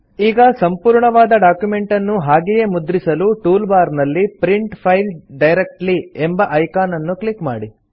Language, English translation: Kannada, Now, to directly print the entire document, click on the Print File Directly icon in the tool bar